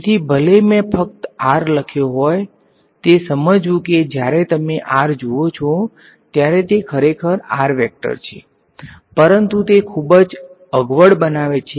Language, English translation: Gujarati, So, even though I have written just r, it is understood that when you see r it is actually r with vector on top, but it makes the whole thing very clumsy